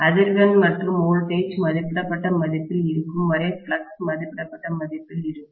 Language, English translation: Tamil, The flux is going to be at rated value as long as the frequency and voltage are at rated value